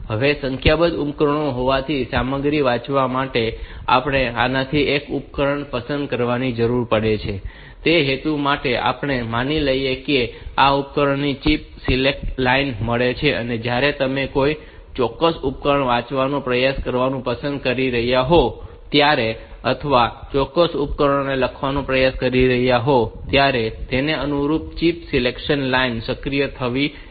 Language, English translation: Gujarati, Now, since there are a number of devices, we need to select one of these devices for reading the content and for that purpose, we assume that this devices they have got the chip select line and this when you are trying to select if you are trying to read a particular device or to write on to a particular device, the corresponding chip select line should be activated